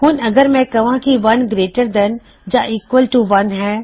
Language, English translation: Punjabi, Now what if I said if 1 is greater than 1 or equals 1